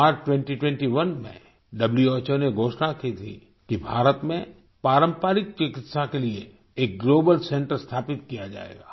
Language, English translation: Hindi, In March 2021, WHO announced that a Global Centre for Traditional Medicine would be set up in India